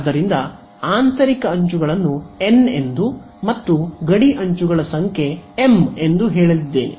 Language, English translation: Kannada, So, I am going to say n is the number of interior edges and m is the number of boundary edges ok